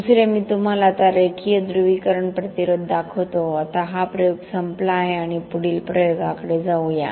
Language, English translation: Marathi, Second, I will show you now the linear polarisation resistance now this experiment is over we move on to the next experiments linear polarisation resistance